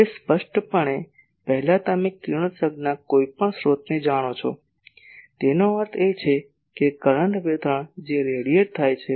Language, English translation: Gujarati, Now , before so obviously, you know any source of radiation; that means, a current distribution that is radiating